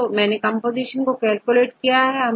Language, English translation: Hindi, So, I want to calculate the composition